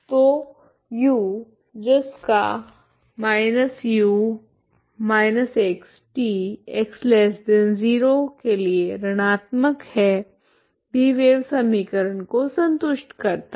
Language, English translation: Hindi, So U this quantity for X negative is also satisfying wave equation ok